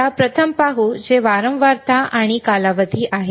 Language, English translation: Marathi, Let us see the first one which is the frequency and period